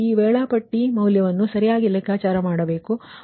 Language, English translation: Kannada, now you have to compute that schedule value, right